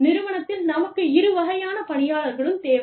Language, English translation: Tamil, We need, both kinds of people, in the organization